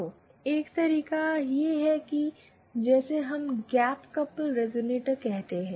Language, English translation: Hindi, So, one way to do that is what we call a gap couple resonator